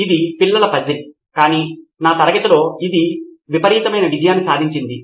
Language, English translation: Telugu, This is a kid’s puzzle if you will but has been a tremendous hit in my class